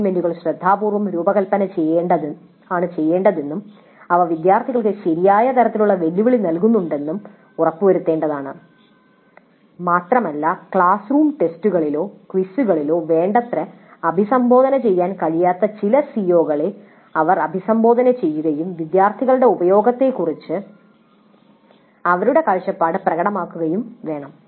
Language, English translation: Malayalam, So it is necessary to design the assignments carefully and ensure that they do provide right kind of challenge to the students and they address some of the CEOs which cannot be adequately addressed in classroom test surfaces and let the students express their view regarding the usefulness of these assignments in promoting learning